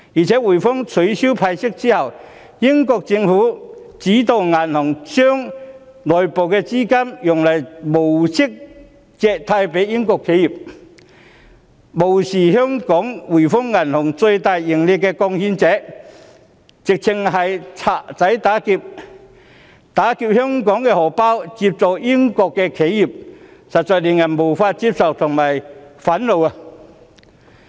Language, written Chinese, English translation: Cantonese, 在滙豐銀行取消派息後，英國政府指導該銀行將內部資金以無息借貸予英國企業，做法無視香港滙豐銀行是最大的盈利貢獻者，簡直是"賊仔打劫"，拿香港的錢接濟英國的企業，實在令人無法接受及憤怒。, After HSBC halted the dividend payment the United Kingdom Government directed the bank to use its internal capital to offer interest - free loans to British enterprises . Such a practice has ignored the fact that HSBC Hong Kong is the largest contributor of profits to the group . The act of robbing Hong Kong to subsidize British enterprises is indeed unacceptable and infuriating